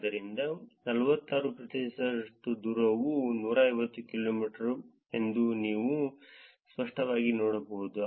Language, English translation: Kannada, So, you can clearly see that 46 percent of the distances are 150 kilometers